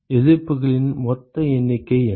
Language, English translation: Tamil, What is the total number of the resistances